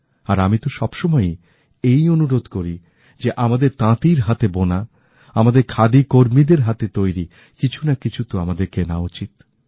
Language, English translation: Bengali, And I keep insisting that we must buy some handloom products made by our weavers, our khadi artisans